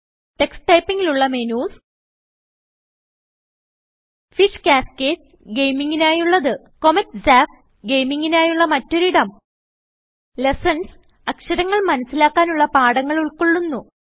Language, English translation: Malayalam, Tux Typing comprises the following menus: Fish Cascade – A gaming zone Comet Zap – Another gaming zone Lessons – Comprises different lessons that will teach us to learn characters